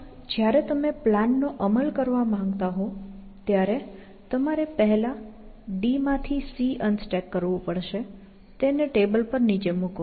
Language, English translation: Gujarati, Even, when you want to actually, implement the plan, you want to first, unstack a from b, sorry, unstack c from d; put it down on the table